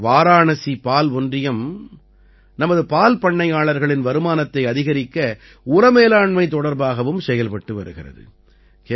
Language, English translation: Tamil, Varanasi Milk Union is working on manure management to increase the income of our dairy farmers